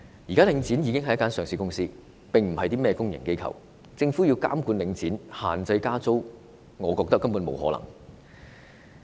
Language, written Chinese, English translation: Cantonese, 現時領展是上市公司，而非公營機構，政府要監管領展，限制加租，我認為根本是不可能的。, Link REIT is now a listed company not a public body . I think it is actually impossible for the Government to exercise monitoring on Link REIT and impose on it restrictions on rent increase